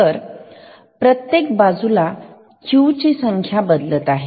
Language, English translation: Marathi, So, every negative edge will change the value of Q